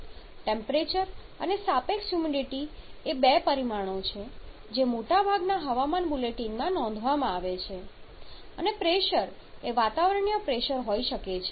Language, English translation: Gujarati, Temperature and relative humidity probably were the two parameters which are reported in most of the weather without bullet and pressure may be the atmospheric pressure